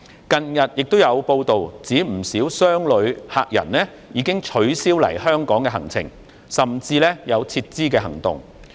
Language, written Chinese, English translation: Cantonese, 近日有報道指，不少商旅客人已經取消來港的行程，甚至有撤資的行動。, Recently it has been reported that quite a number of business visitors have cancelled their trips to Hong Kong . Some have even taken actions to withdraw their investments